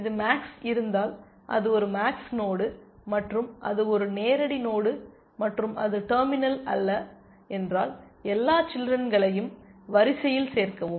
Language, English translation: Tamil, If it is max, it is a max node and if it is a live node and if it is non terminal then, add all children to the queue